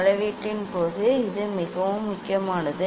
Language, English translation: Tamil, this is very important during measurement